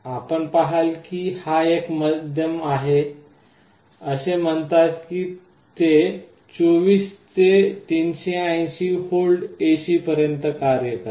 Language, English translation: Marathi, You see this is the middle one, it says that it works from 24 to 380 volts AC